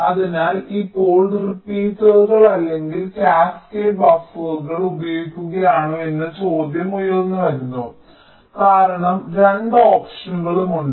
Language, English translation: Malayalam, so now the question arises whether to use repeaters or cascaded buffers, because both the options are there